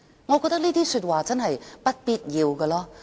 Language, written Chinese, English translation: Cantonese, "我覺得這些說話是不必要的。, I consider such remarks unnecessary